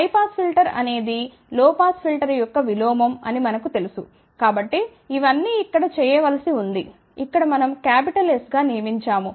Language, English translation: Telugu, And since we know that high pass filter is nothing, but inverse of low pass filter all we have to do what is in this S over here, which we have designated as capital S over here